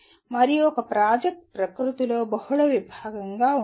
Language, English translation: Telugu, And a project can be also be multidisciplinary in nature